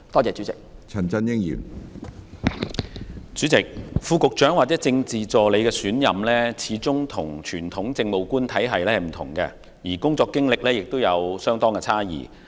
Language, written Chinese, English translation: Cantonese, 主席，副局長或政治助理的選任，始終與傳統政務官體系不同，工作經驗亦有差異。, President the selection of Under Secretaries or Political Assistants is after all different from the traditional way of selection of Administrative Officers and their work experiences are different too